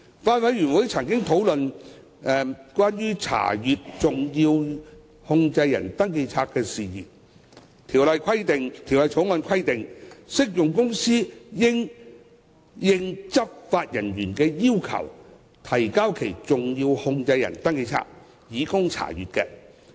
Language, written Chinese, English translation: Cantonese, 法案委員會曾經討論關於查閱登記冊的事宜，《條例草案》規定，適用公司應按執法人員的要求，提交其登記冊以供查閱。, The Bills Committee has discussed issues relating to the access to SCRs . Under the Bill an applicable company is required to make available its SCR for inspection upon demand by law enforcement officers